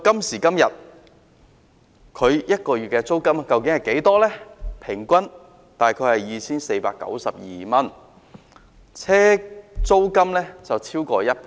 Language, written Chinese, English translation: Cantonese, 時至今日，每月租金平均大概是 2,492 元，上升逾1倍。, The average monthly rent has more than doubled to about 2,492 nowadays